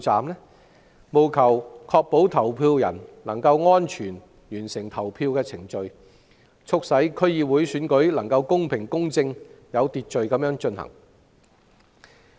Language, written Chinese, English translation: Cantonese, 希望政府能確保投票人安全完成投票程序，促使區議會選舉能夠公平、公正、有秩序地進行。, It is hoped that the Government will ensure that voters can safely complete the voting process and that the DC Election will be held in a fair just and orderly manner